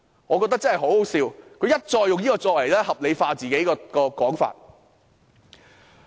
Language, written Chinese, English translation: Cantonese, 我覺得這真是很可笑，他們一再使用這個理由，合理化自己的說法。, That is hilarious and they have time and again used this reason to justify their remarks